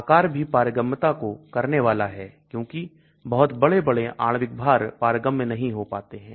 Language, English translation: Hindi, Size is also going to affect permeability because very large molecular weight may not get permeabilized